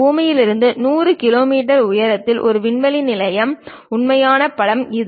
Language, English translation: Tamil, This is the actual image of a space station which is above 100 kilometres from the earth at an altitude